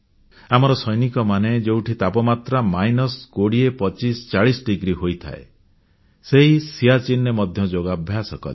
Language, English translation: Odia, Our soldiers practiced yoga in Siachen where temperatures reach minus 20, 25, 40 degrees